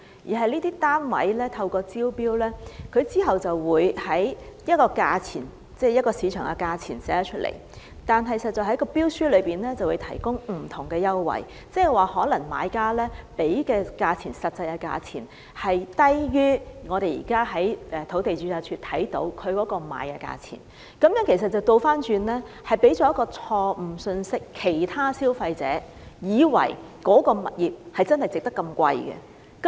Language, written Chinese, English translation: Cantonese, 這些單位在招標時，列出一個正常的市場價錢，但在標書內卻會提供不同的優惠，即買家實際繳付的價錢可能低於我們在土地註冊處可以看到的賣價，這樣反而給予其他消費者一個錯誤信息，以為該個物業值那麼高價錢。, When tenders for these units were invited normal market prices were set out but in the tender various special concessions were offered that is the actual prices paid by purchasers could be lower than the selling price that we see in the Land Registry . In this way a wrong message was sent to consumers who would thus think that a particular property is really worth the high price